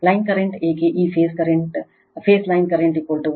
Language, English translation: Kannada, Why line current, for this phase line current is equal to phase current why